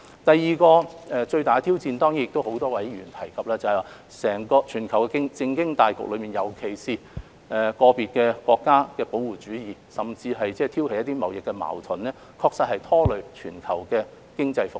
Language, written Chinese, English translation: Cantonese, 第二個最大的挑戰，是多位議員提到的全球政經大局，尤其是在個別國家的保護主義，甚至挑起貿易矛盾，確實拖累全球經濟復蘇。, The second major challenge is the global politico - economic situation as mentioned by many Members . In particular the practice of protectionism and even the provocation of trade conflicts by certain countries did hold back economic recovery around the world